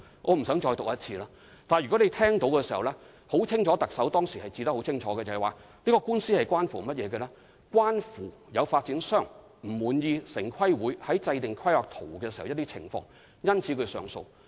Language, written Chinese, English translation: Cantonese, 我不想再讀一次特首有關灣仔警署的說法，特首當時清楚指出，這宗官司關乎有發展商不滿意城市規劃委員會在制訂大綱圖時的一些情況，因此提出上訴。, I do not want to read out again the Chief Executives remarks about the Wan Chai Police Station . The Chief Executive clearly indicated that the case involved some developers who were not satisfied with the preparation of the outline zoning plan by the Town Planning Board and therefore lodged a judicial review